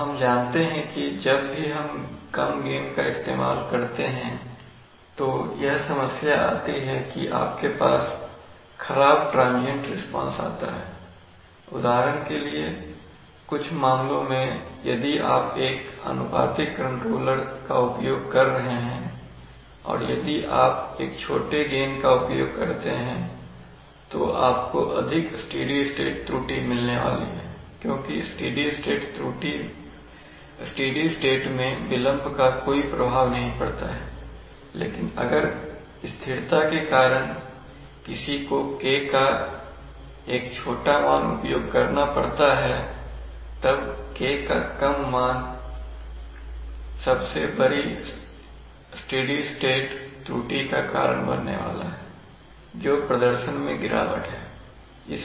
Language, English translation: Hindi, The problem that comes is that you have a degraded transient response, in some cases for example if you if you are using a proportional controller and if you use is use a smaller gain then you are going to get greater steady state error because in the steady state delay has no effect but if because of stability reasons you one has to use a lesser value of K, then that lesser value of K is going to cause the, cause the greatest steady state error which is a, which is a degradation in performance